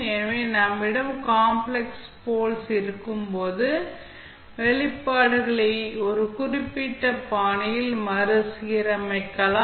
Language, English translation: Tamil, So, when you have complex poles, you can rearrange the expressions in such a way that it can be arranged in a particular fashion